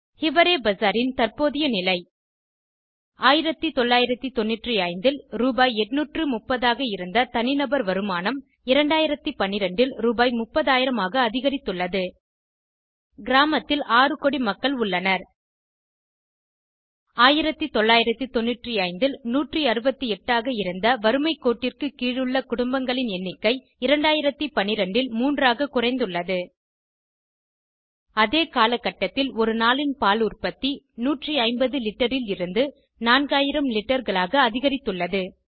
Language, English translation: Tamil, People were finding it difficult to get jobs Migration People started migrating from the village And Increase in crime rate Current Condition in Hiware Bazar Per capita income increased from Rs 830 in 1995 to Rs 30,000 in 2012 The village has 60 millionaires The number of families below poverty line decreased from 168 in 1995 to only 3 in 2012 During the same period, milk production per day increased from 150 litres to 4000 litres